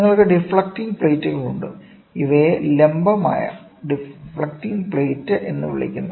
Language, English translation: Malayalam, So, then you have deflecting plates, these are called as vertical deflecting plates